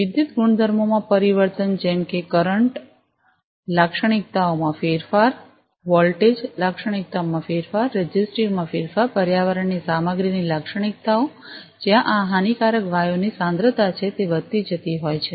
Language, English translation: Gujarati, Changes in electrical properties like changes in the current characteristics, changes in the voltage characteristics, changes in the resistive, characteristics of the material the environment, where these harmful gases are the concentration are rising raising